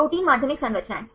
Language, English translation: Hindi, Protein secondary structures